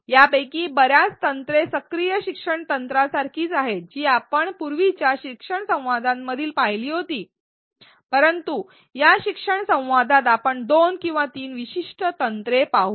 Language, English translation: Marathi, Many of these techniques are similar to active learning techniques that we saw in a previous learning dialogue, but in this learning dialogue let us look at two or three specific techniques